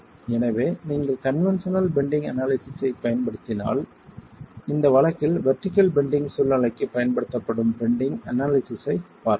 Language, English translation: Tamil, So, if you were to use the conventional bending analysis in this case, we saw the bending analysis used for the vertical bending scenario